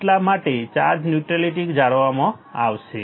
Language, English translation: Gujarati, That is why the charge neutrality would be maintained